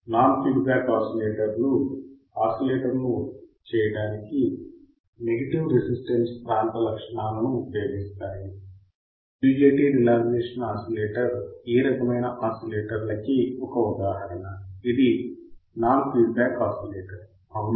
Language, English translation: Telugu, The non feedback oscillators use the negative resistance region of the characteristics used to generate the oscillation, the UJT relaxation oscillator type of oscillator is type of this example of such type of oscillator which is the non feedback type oscillator, all right